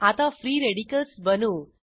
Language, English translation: Marathi, Now lets create the free radicals